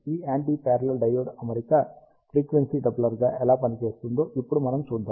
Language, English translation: Telugu, And ah we see we will see now, how this anti parallel diode arrangement can function as a frequency doubler